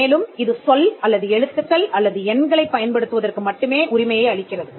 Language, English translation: Tamil, Word marks claim the right to use the word alone, or letters or numbers